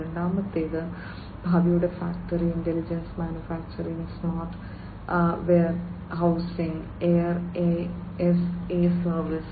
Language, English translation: Malayalam, And second is factory of future, intelligent manufacturing, smart warehousing, air as a service